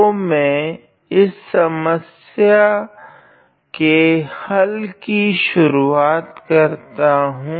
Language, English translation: Hindi, So, let me start this problem